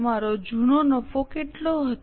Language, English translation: Gujarati, What was your old profit